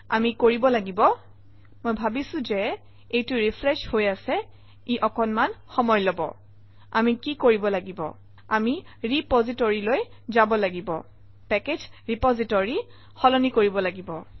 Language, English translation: Assamese, Here we have to I think this is refreshing, it takes a little while what we will do is, we have to go to this repository, change package repository